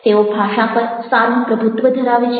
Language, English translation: Gujarati, they they have a very good command over language